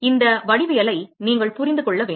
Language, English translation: Tamil, You must understand this geometry